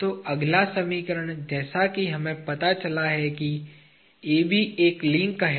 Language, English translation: Hindi, So, the next simplification as we have found out is AB is a link